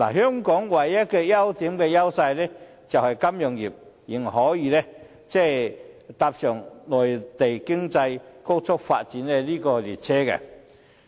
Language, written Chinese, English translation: Cantonese, 香港唯一的優勢，就是金融業仍可搭上內地經濟高速發展的列車。, The only advantage of Hong Kong is that the financial industry may still ride on the surging economic development of the Mainland